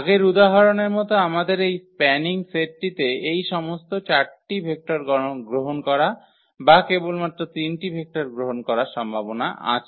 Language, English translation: Bengali, Like in the earlier example we have possibility in this spanning set taking all those 4 vectors or taking only those 3 vectors